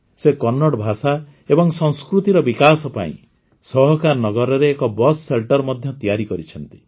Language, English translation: Odia, He has also built a bus shelter in Sahakarnagar to promote Kannada language and culture